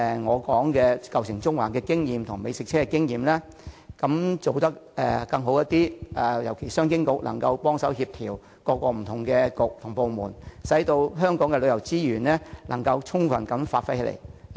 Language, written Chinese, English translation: Cantonese, 我尤其希望商務及經濟發展局能幫忙協調政府各個不同的政策局和部門，令香港的旅遊資源能夠充分發揮作用。, In particular I hope the Commerce and Economic Development Bureau can assist in coordinating different government bureaux and departments to optimize the use of Hong Kongs tourism resources